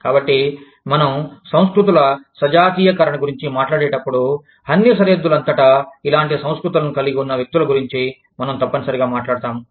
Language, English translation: Telugu, So, when we talk about, the homogenization of cultures, we are essentially talking about, people having similar cultures, across the board